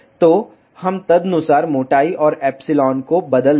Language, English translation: Hindi, So, we will change the thickness, and epsilon is epsilon accordingly